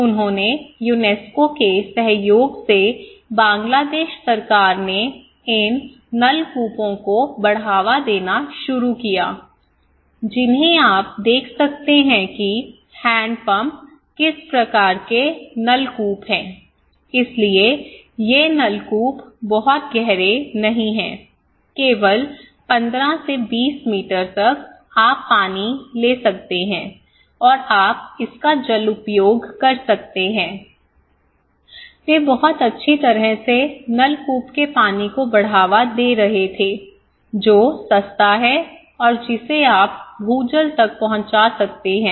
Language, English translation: Hindi, They started to in collaboration with the UNESCO, the Bangladesh government started to promote these tube wells, which you can see the hand pumps kind of tube well, okay so, these tube wells are not very deep, only 15, 20 meters you can get water and you can use it so, they were hugely promoting tube well water which is cheap and which you can have the access to ground water